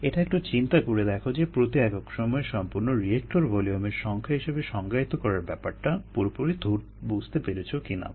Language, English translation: Bengali, just think about it a little bit, see whether you are comfortable with the interpretation of number of reactor volumes per processed per time